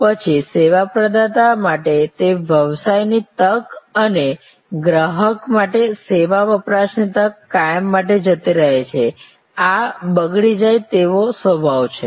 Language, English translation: Gujarati, Then, that business opportunity for the service provider and the service consumption opportunity for the consumer gone forever, this is the perishable nature